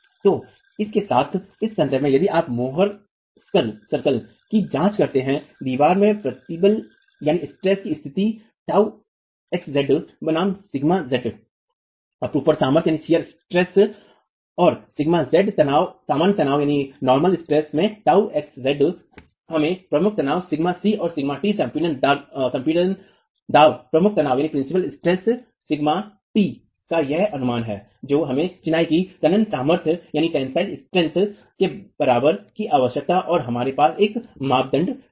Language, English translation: Hindi, So, with this, in this context if you examine the more circle, the state of stress in the wall, tau x z versus sigma z, tau x in the shear stress and sigma z, tau x z in the shear stress and sigma z the normal stress gives us our principal stresses sigma t and sigma c principle compression principle tension this estimate of sigma t is what we require we equate that to the tensile strength of masonry and we have a, we have a criteria